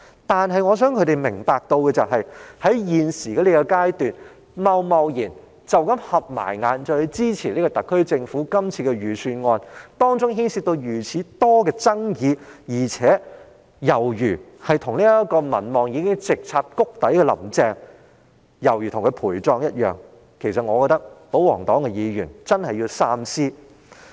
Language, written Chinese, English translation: Cantonese, 然而，我希望他們明白，在目前的階段貿然閉上眼睛支持特區政府這份牽涉眾多爭議的預算案，猶如為民望直插谷底的"林鄭"陪葬，我認為保皇黨議員真的必須三思。, However I hope they will understand that given the many controversies surrounding the Budget of the SAR Government this year supporting it at the current stage with their eyes closed will tantamount to sacrificing themselves for Carrie LAM whose popularity rating has dropped drastically to the lowest level . I think the royalist Members must give this matter the most careful consideration